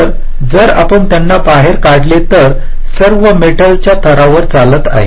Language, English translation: Marathi, so if you take them out, these are all running on metal layers